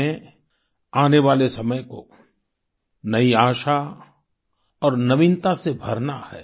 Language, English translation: Hindi, We have to infuse times to come with new hope and novelty